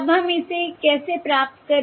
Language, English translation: Hindi, Now, how do we get this